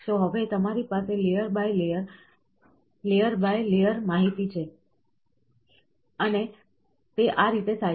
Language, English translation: Gujarati, So, now, what you have is, layer by, layer by, layer information you have, and that is how it is done